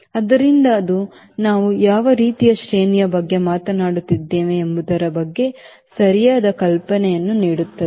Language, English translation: Kannada, so that gives the fair idea of what sort of the range we were talking about